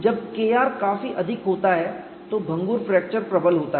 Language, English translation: Hindi, When K r is quite high, brittle fracture predominates